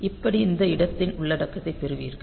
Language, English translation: Tamil, So, that way you get the content of this location